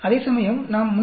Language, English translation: Tamil, Whereas we calculate 342